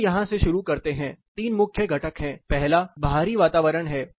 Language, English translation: Hindi, Let us start this from here there are 3 main components the first is the environment say outdoor environment